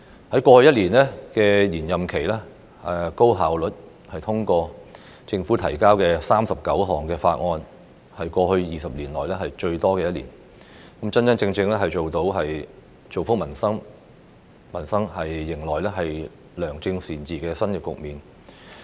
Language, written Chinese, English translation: Cantonese, 在過去一年的延任期，立法會高效地通過政府提交的39項法案，為過去20年來最多的一年，真真正正造福民生，開展良政善治的新局面。, In a highly efficient manner the Legislative Council has during the past year of its extended term of office passed 39 bills introduced by the Government which being the biggest number in the past two decades . This has truly benefited peoples livelihoods and helped start a new chapter of good governance for Hong Kong